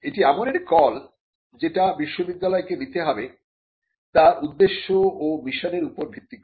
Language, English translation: Bengali, Now, this is a call that the university needs to take based on its objectives and its mission